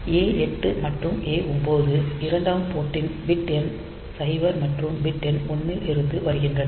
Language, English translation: Tamil, So, this two are coming from the Port 2 s bit number 0 and bit number 1